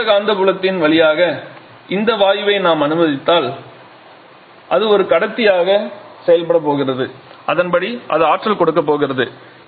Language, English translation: Tamil, And now if we allow this gas to flow through this magnetic field then that is going to act as a conductor and accordingly it is going to give electricity